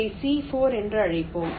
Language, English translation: Tamil, lets call it c four